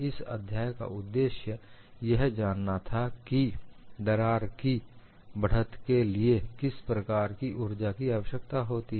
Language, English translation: Hindi, So, the goal in this chapter is to find out, what is the kind of energy required for advancement of a crack